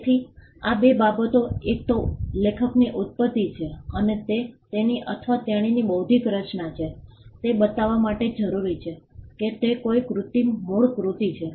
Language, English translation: Gujarati, So, these two things, one it originated from the author and it is his or her intellectual creation is all that is required to show that a work is an original work